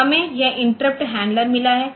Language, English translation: Hindi, So, we have got this interrupt handler